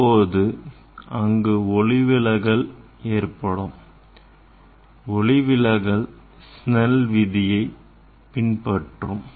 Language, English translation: Tamil, there will be refraction and that refraction will follow the Snell s law